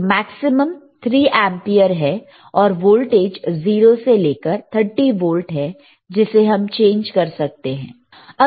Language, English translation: Hindi, So, maximum is 3 ampere and voltage from 0 to 30 volts you can change it